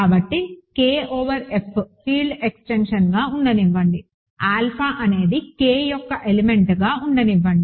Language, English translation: Telugu, So, let K over F be a field extension, let alpha be an element of K